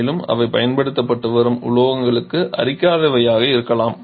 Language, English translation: Tamil, And they should also be non corrosive to the metals that are being used